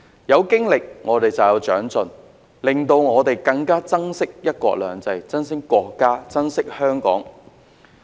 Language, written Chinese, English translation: Cantonese, 有經歷便有長進，令我們更加珍惜"一國兩制"，珍惜國家及香港。, Through the accumulation of experiences we will be able to make progress and learn to cherish the principle of one country two systems the country and Hong Kong even more